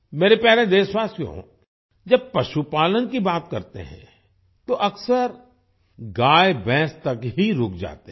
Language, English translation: Hindi, My dear countrymen, when we talk about animal husbandry, we often stop at cows and buffaloes only